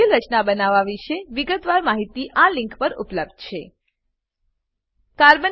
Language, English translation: Gujarati, More details about complex formation are available at this link http://en.wikipedia.org/wiki/Spin states d electrons